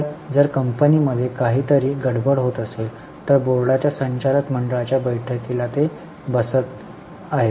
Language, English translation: Marathi, So, if something is wrong in the happening in the company, they sit on the board, they are attending board of directors meeting